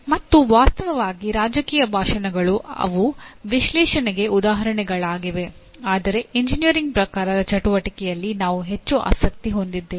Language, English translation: Kannada, And actually political speeches they are great things to really examples for analyzing but we are more interested in the engineering type of activity